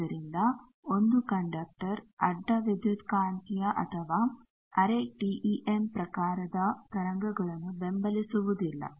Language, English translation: Kannada, So, single conductor does not support a traverse electromagnetic or quasi TEM type of waves